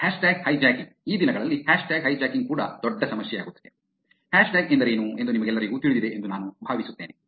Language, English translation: Kannada, Hashtag hijacking; hashtag hijacking is also becoming a big issue these days, I assume all of you know what a hashtag is